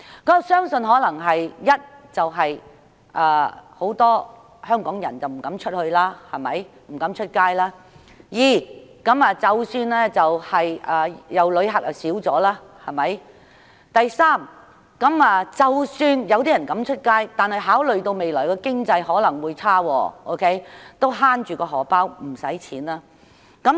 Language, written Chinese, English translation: Cantonese, 我相信可能因為第一，很多香港人不敢外出；第二，旅客減少；或第三，即使有人有膽外出，但考慮到未來經濟有可能轉差，因此會想節省金錢。, I believe that it is probably because firstly many Hong Kong people dare not go out; secondly the number of visitors has decreased; or thirdly even if some people have the courage to go out they want to save money for fear that the future economy may take a turn for the worse